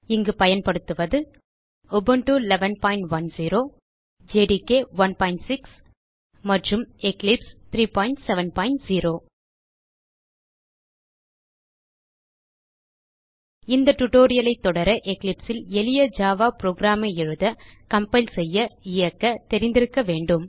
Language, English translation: Tamil, Here we are using Ubuntu version 11.10 Java Development kit 1.6 and Eclipse 3.7.0 To follow this tutorial you must know how to write, compile and run a simple java program in eclipse